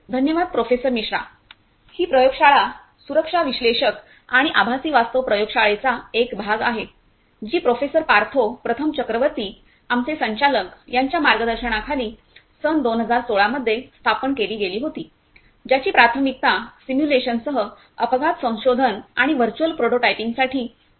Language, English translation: Marathi, Thank you Professor Misra, this laboratory is a part of safety analytics and virtual reality laboratory it was established in the year 2016 under the mentorship of Professor Partho Prathim Chakraborty, our Director, it was conceived a primarily for accident research and virtual prototyping including simulation